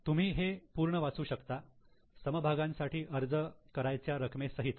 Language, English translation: Marathi, You can just read it full including share application money